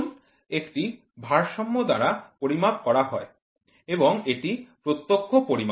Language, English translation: Bengali, Weight is measured by a balance and it is direct